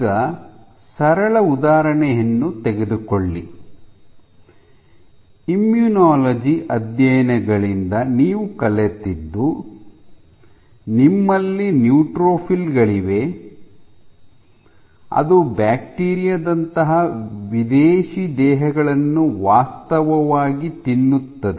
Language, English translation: Kannada, So, let us take a simple example, you know from your immunology studies, that you have neutrophils which actually eat up foreign bodies like bacteria